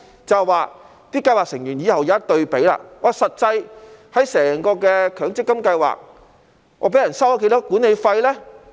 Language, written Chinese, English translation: Cantonese, 這樣計劃成員往後便可作出比較，知悉在整體強積金計劃中，實際上被人收取了多少管理費呢？, In this way scheme members will be able to make comparisons and know how much management fees will actually be charged by the MPF schemes on the whole and how much administrative expenses will be charged